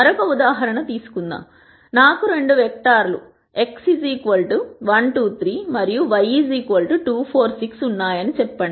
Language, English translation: Telugu, Let us take another example let us say I have 2 vectors, X 1, 2, 3, transpose and Y is 2, 4, 6